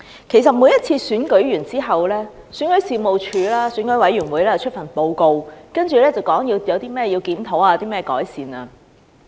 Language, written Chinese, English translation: Cantonese, 其實，在每次選舉完畢後，選舉事務處及選舉委員會都會發出報告，指出有哪些地方需要檢討及改善。, In fact the Registration and Electoral Office REO and the Election Committee will publish reports after each election highlighting matters to be reviewed and improved